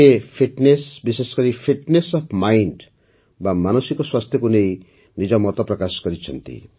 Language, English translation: Odia, He will share his views regarding Fitness, especially Fitness of the Mind, i